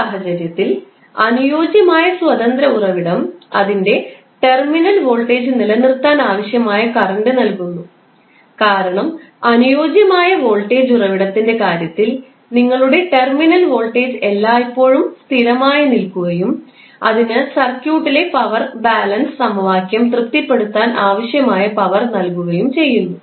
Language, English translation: Malayalam, In this case the ideal independent voltage source delivers to circuit the whatever current is necessary to maintain its terminal voltage, because in case of ideal voltage source your terminal voltage will always remain constant and it will supply power which is necessary to satisfy the power balance equation in the circuit